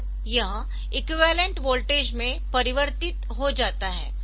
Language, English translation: Hindi, So, that it is converted in to the equivalent voltages